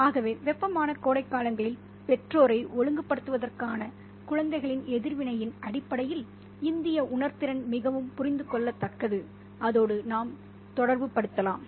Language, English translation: Tamil, So the Indian sensibility in terms of the children's reaction to the disciplining of the parents during hot summers is very much understandable and we could relate to it as well